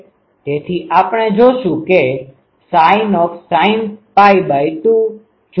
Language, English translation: Gujarati, So, sin 0 that will be 0